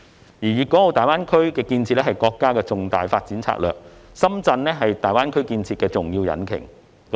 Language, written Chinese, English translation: Cantonese, 他說道："粵港澳大灣區建設是國家重大發展戰略，深圳是大灣區建設的重要引擎。, He said to this effect The construction of the Guangdong - Hong Kong - Macao Greater Bay Area is a major development strategy of the country and Shenzhen is an important engine driving its construction